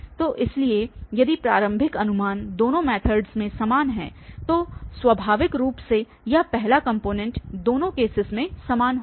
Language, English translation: Hindi, So, if the initial guess is same in both the methods then naturally this first component will be the same in both the cases